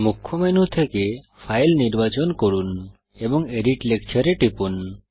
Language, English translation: Bengali, From the Main menu, select File, and click Edit Lecture